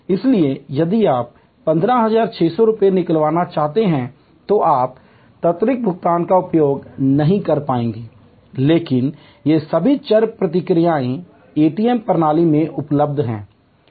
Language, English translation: Hindi, So, if you want to draw 15,400 rupees you will not be able to use the quick payment, but all these variable responses are available from the ATM system